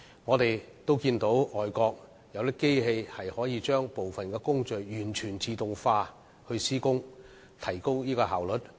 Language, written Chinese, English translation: Cantonese, 我們看到外國有些機器可以令部分工序完全自動化地施工，以提高效率。, We notice that certain machines may enable the full automation of some of the processes and enhance efficiency